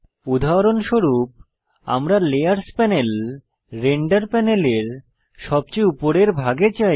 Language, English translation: Bengali, The layers panel moves to the top of the render panel